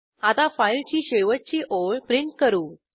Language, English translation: Marathi, Now let us print the last line of the file